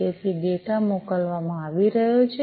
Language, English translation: Gujarati, So, the data are being sent, right